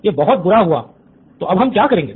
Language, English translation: Hindi, It’s bad, so what do we do now